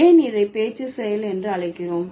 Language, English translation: Tamil, So why we would call it speech act